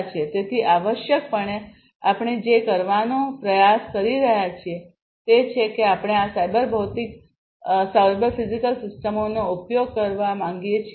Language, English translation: Gujarati, So, essentially what we are trying to do is we want to use these cyber physical systems